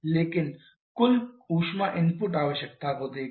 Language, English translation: Hindi, But look at total heat input requirement